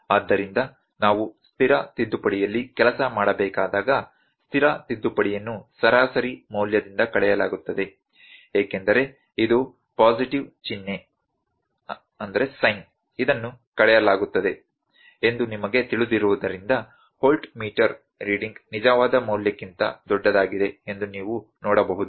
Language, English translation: Kannada, So, when we need to work on the static correction static correction is subtracted from the mean value, because you know if it is a positive sign it is subtracted, you can see that voltmeter reading is greater than the true value